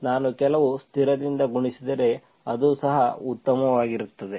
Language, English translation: Kannada, If I multiply with some constant, it is also fine